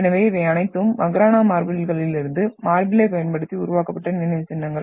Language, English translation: Tamil, So these are all monuments which were been made using the marble from Makrana marbles